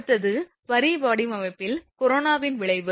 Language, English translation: Tamil, Next is the effect of corona on line design